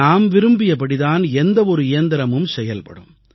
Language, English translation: Tamil, Any machine will work the way we want it to